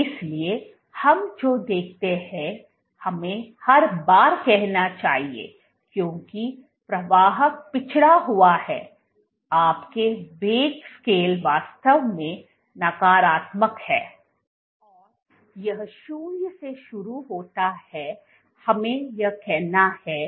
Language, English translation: Hindi, So, what we observe, once again this is time let us say every time the velocity is, because flow is backward your velocity this scale is actually negative it starts from 0 let us say this is 15 or whatever, here velocity